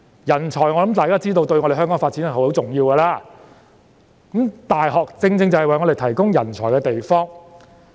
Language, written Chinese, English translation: Cantonese, 我相信大家都知道，人才對於香港的發展十分重要，而大學正正是為香港提供人才的地方。, I believe everyone knows that talents are of vital importance to Hong Kongs development and universities are the very places which provide talents for Hong Kong